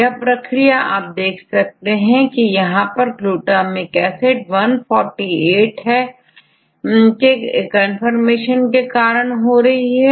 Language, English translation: Hindi, And, here if you see this is glutamic acid 148 this 148 is here inside the membrane